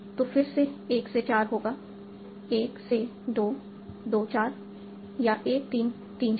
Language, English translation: Hindi, So, again, 1 to 4 will be 1 2, 24 or 1 3, 3, 4